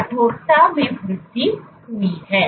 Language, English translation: Hindi, So, there is increase stiffening